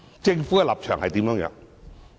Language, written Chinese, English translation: Cantonese, 政府的立場又是甚麼？, What is the position of the Government?